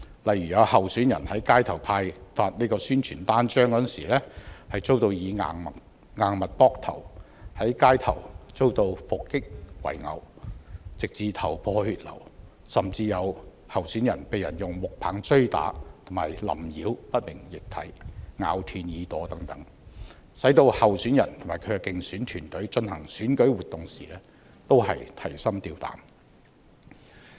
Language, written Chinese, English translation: Cantonese, 例如有候選人在街頭派發宣傳單張時遭硬物扑頭、在街頭遭到伏擊圍毆，弄至頭破血流，甚至有候選人被人用木棒追打和淋澆不明液體、咬斷耳朵等，使候選人及其競選團隊進行選舉活動時均提心吊膽。, Examples include a candidate being hit in the head by a hard object while handing out flyers on the street; some candidates being ambushed and badly beaten on the street ending up with their heads broken and bleeding; some being pursued and hit with wooden clubs doused with unknown liquid and a candidate having his ear bitten off . These incidents have caused great anxieties among candidates and their electioneering teams when conducting electoral activities